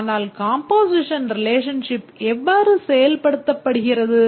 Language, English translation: Tamil, But how is the composition relationship implemented